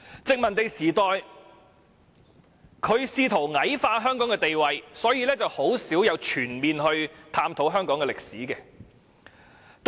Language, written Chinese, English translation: Cantonese, 殖民地時代，當局試圖矮化香港地位，很少全面探討香港歷史。, In the colonial era as the authorities attempted to degrade Hong Kong little was done to facilitate a full understanding of Hong Kong history